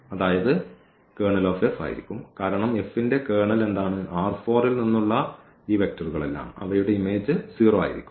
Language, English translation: Malayalam, So, the null space here of this coefficient matrix will be the Kernel of F, because what is the Kernel of F all these vectors here from R 4 whose image is 0 they are not 3